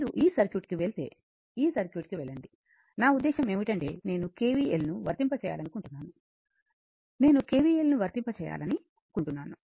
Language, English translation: Telugu, If you go to this circuit right, your go to this circuit, I mean if you your suppose I want to apply KVL right, I want to apply KVL